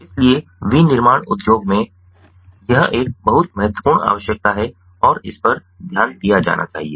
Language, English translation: Hindi, so this is very important in its a very important requirement in the manufacturing industry and it has to be taken care of in